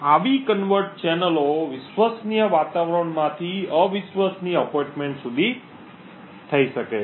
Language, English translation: Gujarati, Such kind of covert channels can be done from a trusted environment to the untrusted appointment